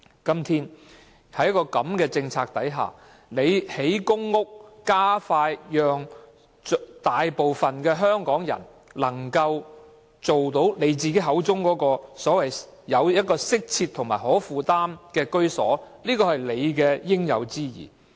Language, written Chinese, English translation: Cantonese, 在現時的政策下，當局興建公屋，令大部分香港人盡快獲得局長口中"適切及可負擔的居所"，是他應有之義。, Under the existing policy it is really incumbent upon the Secretary to build PRH so that the majority of Hong Kong people can have his so - claimed adequate and affordable housing